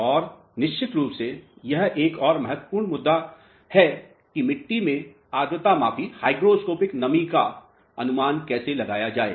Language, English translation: Hindi, And of course, another important issue here is how to estimate the hygroscopic moisture content of the soil mass